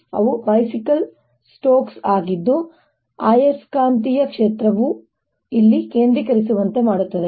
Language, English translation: Kannada, here they are, you know, bicycles spokes that make the magnetic field concentrated here